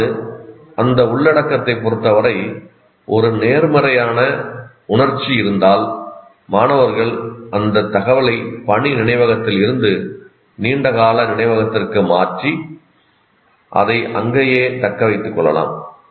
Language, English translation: Tamil, So this is, that means if there is a positive emotion with respect to that content, it's possible that the students will transfer that information from working memory to the long term memory and retain it there